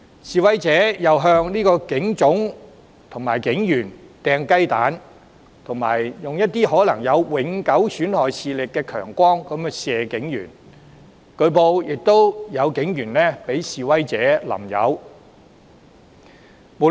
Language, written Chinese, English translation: Cantonese, 示威者又向警總及警員投擲雞蛋，以及使用可能永久損害視力的強光射向警員，據報更有示威者向警員潑油。, Protesters also pelted the Police Headquarters and police officers with eggs and flashed strong beams which can cause permanent damage to vision at police officers . Some protesters reportedly splashed police officers with lube oil